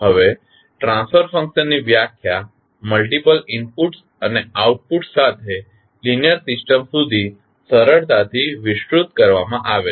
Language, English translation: Gujarati, Now, the definition of transfer function is easily extended to linear system with multiple inputs and outputs